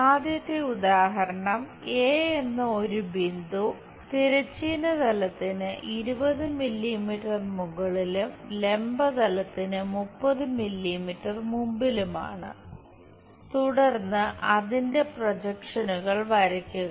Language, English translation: Malayalam, Let us begin by looking through an example the first example is a point A is 20 millimetres above horizontal plane and 30 millimetres in front of vertical plane, then draw its projections